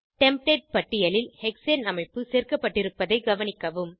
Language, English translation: Tamil, Observe that Hexane structure is added to the Template list